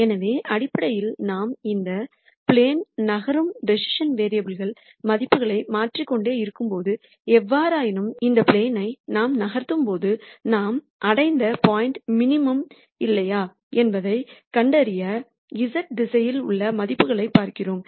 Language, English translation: Tamil, So, essentially when we keep changing the values for the decision variables we are basically moving in this plane; however, while we are moving this plane we are looking at the values in the z direction to nd out whether the point that we have reached is a minimum or not